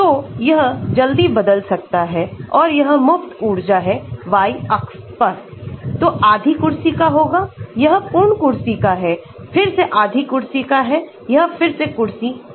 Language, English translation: Hindi, So, it can change quickly and this is the free energy on the y axis so this can be half chair, this is full chair, again half chair, this is again chair